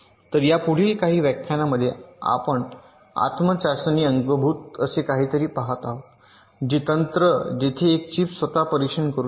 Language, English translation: Marathi, so in this next couple of lectures we shall be looking at something called built in self test, like a technique way a chip can test itself